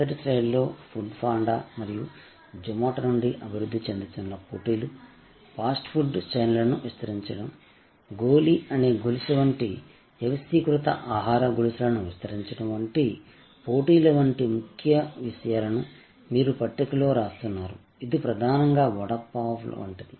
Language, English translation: Telugu, In the first slide, you tabulate you chronicle the key concerns, like these emerging competitions from Food Panda and Zomato, the competition from expanding fast food chains, expanding organized food chains like a chain called goli, which survives vada pav, which was mainly an unorganized street food now delivered in multiple hygienic packages from various outlets